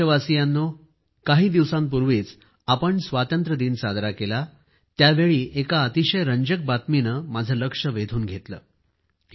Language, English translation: Marathi, Dear countrymen, a few weeks ago, while we were celebrating our Independence Day, an interesting news caught my attention